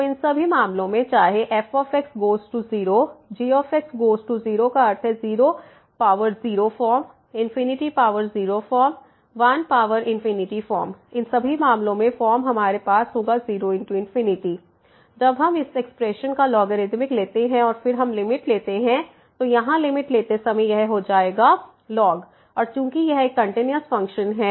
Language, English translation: Hindi, So, in all these cases whether goes to 0 goes to 0 means 0 power 0 form infinity power 0 form 1 power infinity form in all these cases we will have 0 into infinity form once we take the logarithmic of this expression and then we take the limit; so while taking the limit here this will become and since this is a continuous function